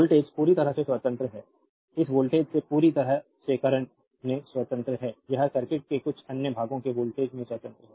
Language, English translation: Hindi, The voltage is completely independent of this voltage is completely independent of the current right or it is independent of the voltage of some other parts of the circuit right